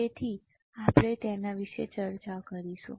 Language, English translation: Gujarati, So, we will discuss about the same